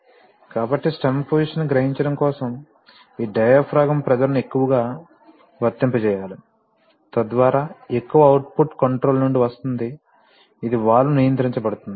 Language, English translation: Telugu, So for realizing this much of stem position I have to apply this much of diaphragm pressure, so that much of output will come from the controller, this is the, where the valve is going to be controlled